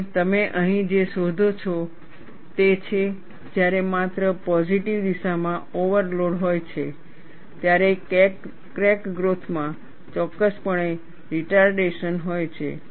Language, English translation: Gujarati, And, what you find here is, when there is overload only in the positive direction, there is definitely retardation in the crack growth